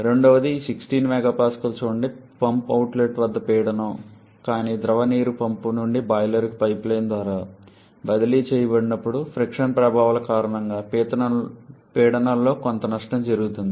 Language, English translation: Telugu, Secondly look at this 16 MPa is the pressure at the outlet of the pump, but when the liquid water gets transferred from the pump to the boiler through the pipeline because of the frictional effects there is some loss in pressure